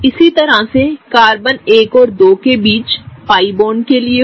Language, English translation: Hindi, Same goes for the pi bond between 1 and 2